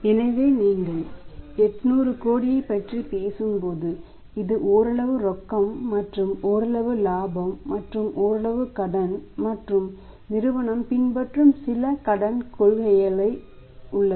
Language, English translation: Tamil, So, when you are talking about the 800 crore this is partly and the cash and partly on the profit partly in cash and partly credit and there is certain credit policy which is being followed by the company